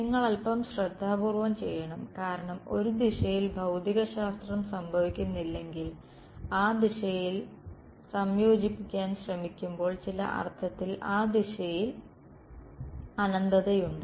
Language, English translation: Malayalam, You have to do a little carefully because if one direction there is no physics happening in one direction, in some sense there is an infinity in that direction when you try to integrate in that direction